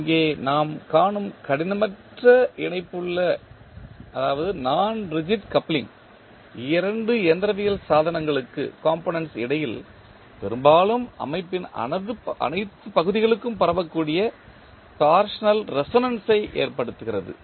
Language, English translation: Tamil, The non rigid coupling between two mechanical components which we see here often causes torsional resonance that can be transmitted to all parts of the system